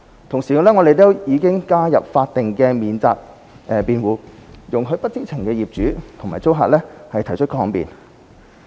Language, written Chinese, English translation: Cantonese, 同時，我們已加入法定免責辯護，容許不知情的業主和租客提出抗辯。, At the same time we have introduced statutory defences allowing innocent owners and tenants to raise a defence